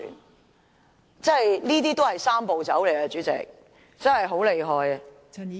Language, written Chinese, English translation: Cantonese, 代理主席，這種也是"三步走"，真的很厲害......, Deputy President this is indeed also a Three - step Process . How great that is